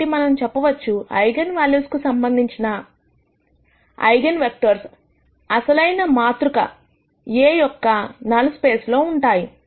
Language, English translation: Telugu, So, we could say, the eigenvectors corresponding to 0 eigenvalues are in the null space of the original matrix A